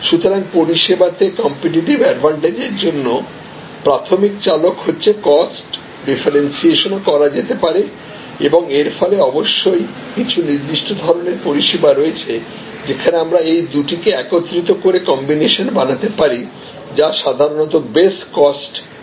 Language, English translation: Bengali, So, cost is the primary driver for competitive advantage in services, differentiations can also be done and as a result there are of course, certain types of services, where we can combine the two and create combinations which are often called best cost